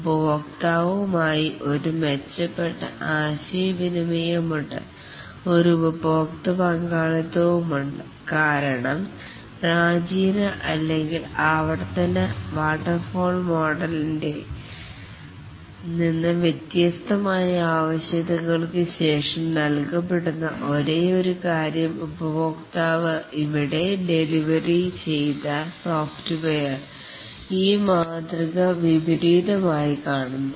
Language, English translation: Malayalam, There is a user involvement because unlike the classical or the iterative waterfall model where the after the requirements are given, the only thing that the customer sees at the delivered software